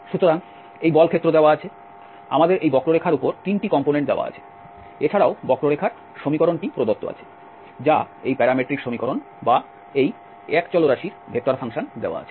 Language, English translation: Bengali, So this is the force field given, we have the 3 components over the curve, the curve equation is also given that is the parametric equation or the vector function of this one variable is given